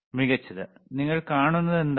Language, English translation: Malayalam, Excellent so, what you see